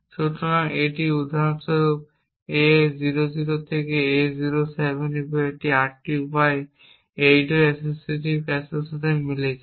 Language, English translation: Bengali, So, this for example A00 to A07 is an 8 way corresponds to the 8 way associative cache